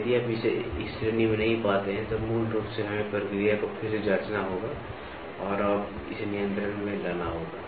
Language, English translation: Hindi, If you do not get it in this range then, it is basically we have to recheck the process and bring it under control